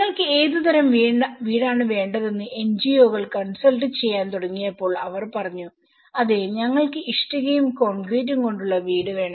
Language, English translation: Malayalam, When the NGOs have started consulting what type of house do you want they said yes we want a brick and concrete house